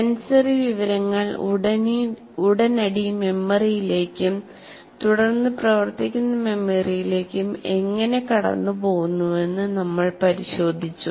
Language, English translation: Malayalam, And there we looked at how does the sensory information passes on to immediate memory and then working memory